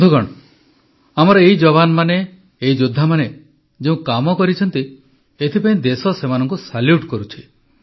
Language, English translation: Odia, Friends, the nation salutes these soldiers of ours, these warriors of ours for the work that they have done